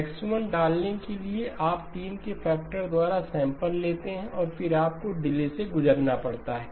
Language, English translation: Hindi, To insert X of 1 you up sample by a factor of 3 and then you have to pass through a delay